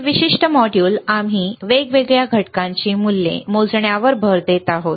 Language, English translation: Marathi, this particular module we are focusing on measuring the values of different components, right